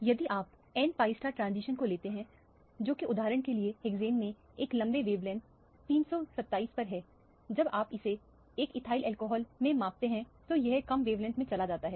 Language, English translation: Hindi, If you take the n pi star transition which is the at a longer wavelength 327 in hexane for example, when you measure it in a ethyl alcoholic it goes to lower wavelength